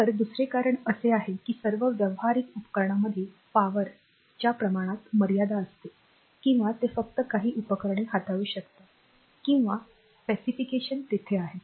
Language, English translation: Marathi, So, another reason is that all practical devices have limitation on the amount of power that they can handle just some devices or specification is there